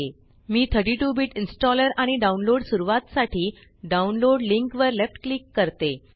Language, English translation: Marathi, So I left click on the download link for 32 Bit Installer and download starts